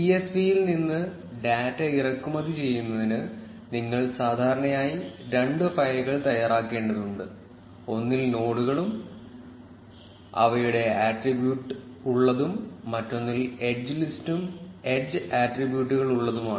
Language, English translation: Malayalam, To import data from csv, you will usually need to prepare two files, one containing nodes and their attributes and the other containing an edge list and edge attributes